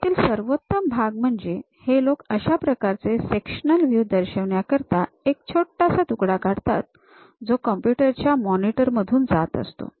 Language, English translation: Marathi, The best part is, they will represent something like a sectional view, making a slice which pass through this computer monitor